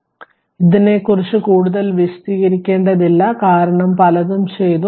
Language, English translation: Malayalam, So, not much to explain for this because many things we have done